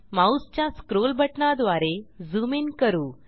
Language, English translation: Marathi, I will zoom in using the scroll button of the mouse